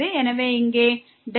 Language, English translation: Tamil, So, this is delta x